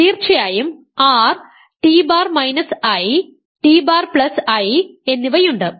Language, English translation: Malayalam, Of course, there is R and there is t bar minus i and t bar plus i